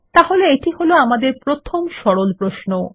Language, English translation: Bengali, So there is our first simple query